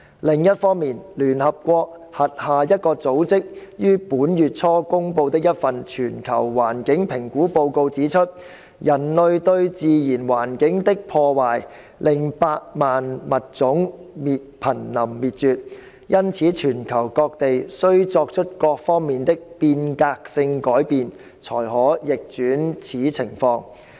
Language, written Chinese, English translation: Cantonese, 另一方面，聯合國轄下一個組織於本月初公布的一份全球環境評估報告指出，人類對自然環境的破壞令百萬物種瀕臨滅絕，因此全球各地需作出各方面的"變革性改變"才可逆轉此情況。, On the other hand a global environmental assessment report published early this month by an organization under the United Nations UN has pointed out that a million species are threatened with extinction due to the destruction inflicted by human beings on the natural environment and thus only transformative changes across the globe on various aspects may reverse this situation